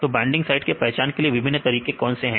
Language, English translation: Hindi, What are the various ways to identify the binding sites